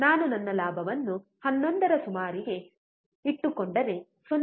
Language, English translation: Kannada, If I keep my gain around 11, then 0